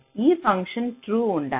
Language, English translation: Telugu, this function has to true